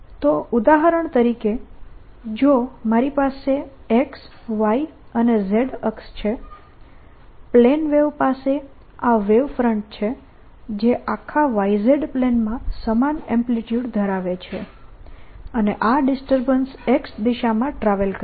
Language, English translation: Gujarati, so for example, if i have x, y and z, a plane wave would have this wave front which has the same amplitude all over by the plane, and this, this disturbance, travels in the y direction